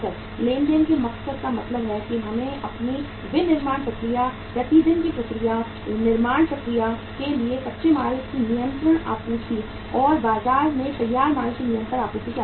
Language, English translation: Hindi, Transaction motive means we need the inventory for our manufacturing process, day to day process, continuous supply of raw material to the manufacturing process and continuous supply of the finished goods to the market